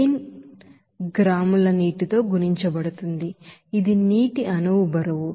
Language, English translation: Telugu, 0 gram of water, which is molecular weight of water